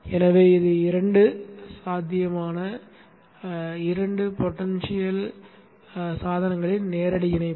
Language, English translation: Tamil, So there is a direct connection of two potential devices